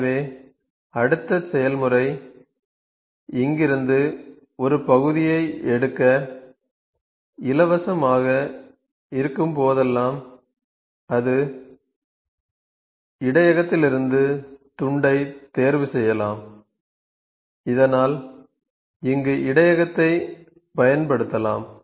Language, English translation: Tamil, So, whenever the next process is free to pick a piece from here, it can pick the piece from the buffer so that buffer can be used here